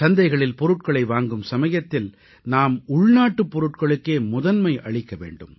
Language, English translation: Tamil, While purchasing items from the market, we have to accord priority to local products